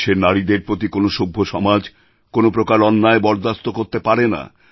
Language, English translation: Bengali, No civil society can tolerate any kind of injustice towards the womanpower of the country